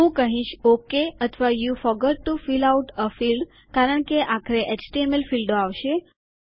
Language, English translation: Gujarati, Ill say ok or you forgot to fill out a field because there will eventually be HTML fields